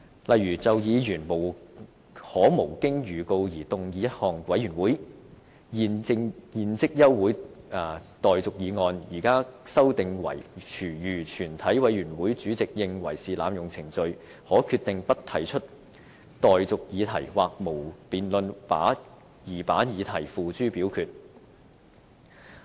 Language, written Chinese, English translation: Cantonese, 例如就議員可無經預告動議一項委員會現即休會待續議案，現在卻修訂為如全體委員會主席認為是濫用程序，可決定不提出待議議題或無經辯論而把議題付諸表決。, Regarding the right of a Member to move without notice that further proceedings of the committee be now adjourned it is proposed to be amended as where the Chairman of a committee of the whole Council is of the opinion that this is an abuse of procedure he may decide not to propose the question or to put the question forthwith without debate